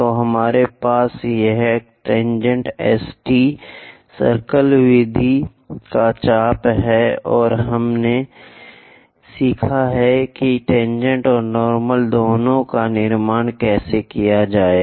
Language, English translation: Hindi, So, we have this tangent S T, arc of circle method, and we have learnt how to construct both tangent and normal